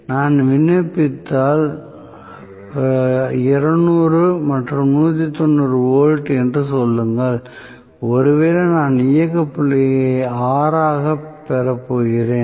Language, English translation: Tamil, If I apply, say 200 and rather 190 volts, maybe I am going to get the operating point as R and so on